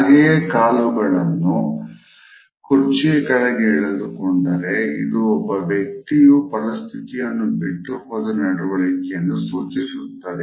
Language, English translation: Kannada, However, if the feet are also withdrawn under the chair; it suggest that the person has a withdrawn attitude